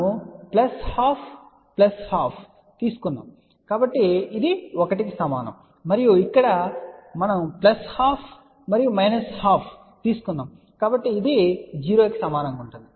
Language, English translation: Telugu, So, we had taken plus half plus half, so that will be equal to 1 and here we had taken plus half and minus half the sum of that will be equal to 0